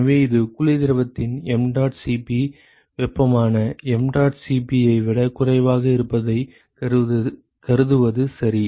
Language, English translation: Tamil, So, this is by assuming mdot Cp of cold fluid is less than mdot Cp of hot all right